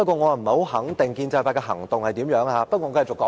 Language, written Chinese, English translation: Cantonese, 我不肯定建制派有何行動，但我會繼續發言。, I am not sure about the next step of the pro - establishment camp but I will continue with my speech